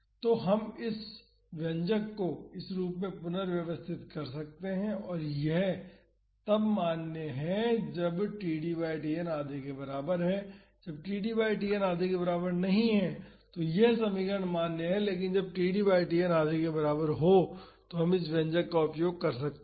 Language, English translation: Hindi, So, we can rearrange this expression to this form and this is valid when td by Tn is equal to half, when td by Tn is not equal to half this equation is valid, but when td by Tn is equal to half we can use this expression